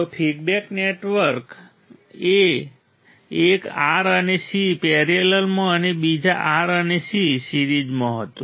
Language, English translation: Gujarati, So, what was the feedback network one R and C in parallel second R and C in series right